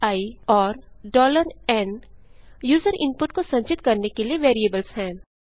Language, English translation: Hindi, $i and $n are variables to store user input